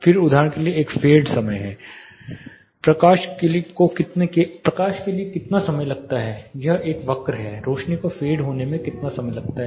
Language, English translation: Hindi, Then there is a fade time for example, how much time it takes for the light it is a curve how much time it takes for the lights to fade away or to start with it